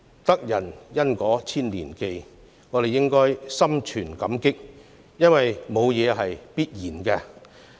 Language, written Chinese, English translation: Cantonese, "得人恩果千年記"，我們應當心存感激，因為沒有甚麼是必然的。, And so we ought to be grateful and always remember the goodness of those who have done us favours for nothing is supposed to be taken for granted